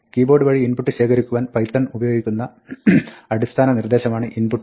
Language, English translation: Malayalam, The basic command in python to read from the keyboard is input